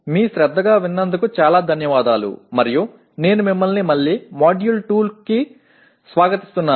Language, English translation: Telugu, Thank you very much for attention and I welcome you again to the Module 2